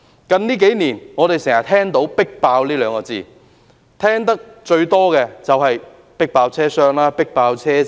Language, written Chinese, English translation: Cantonese, 我們近年經常聽到"迫爆"這兩個字，聽得最多的就是"迫爆"車廂、"迫爆"車站。, We often hear the term overcrowded in recent years particularly overcrowded train compartments and overcrowded stations